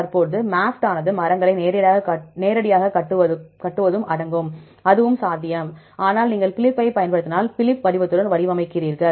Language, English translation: Tamil, Currently MAFFT also includes to construct trees directly, that is also possible, but if you use Phylip you format with the Phylip format